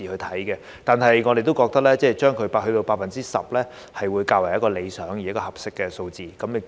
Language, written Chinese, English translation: Cantonese, 但是，我們都認為 10% 是較為理想而合適的數字。, Nevertheless we consider that it is better and more appropriate to set the cap at 10 %